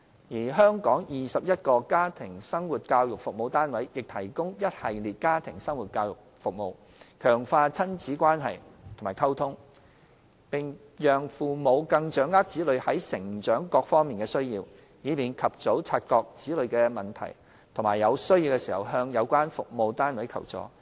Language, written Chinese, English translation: Cantonese, 而全港21個家庭生活教育服務單位亦提供一系列家庭生活教育服務，強化親子關係和溝通，並讓父母更掌握子女在成長上各方面的需要，以便及早察覺子女的問題及在有需要時向有關服務單位求助。, The 21 Family Life Education Units over the territory also deliver a package of family life education services to strengthen parent - child relationship and communication and help parents to better understand the developmental needs of their children for early identification of their childrens problems so that assistance from the relevant service units may be sought when needed